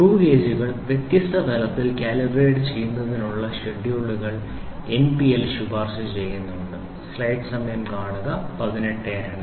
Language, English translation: Malayalam, NPL has recommended schedules for calibrating the screw gauges at different level